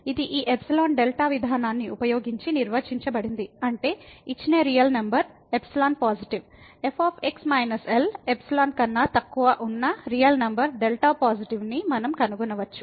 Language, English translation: Telugu, It was defined using this epsilon delta approach that means, if for a given real number epsilon positive, we can find a real number delta positive such that minus less than epsilon